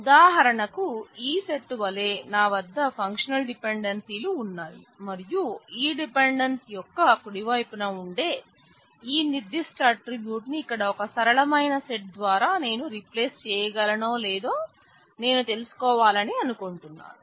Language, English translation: Telugu, For example, say I have a set of functional dependencies as this set and I want to know whether I can replace it by a simpler set here where this particular attribute on the right hand side of this dependency may be extraneous